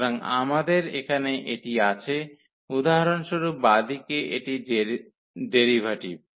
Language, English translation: Bengali, So, here we have this; the left hand side for example, this is the derivative term